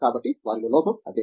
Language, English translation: Telugu, So, that is what lacking in them